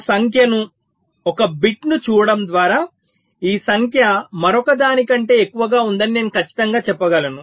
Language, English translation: Telugu, no, just by looking at one number, one bit, i can definitely say that this number is greater than the other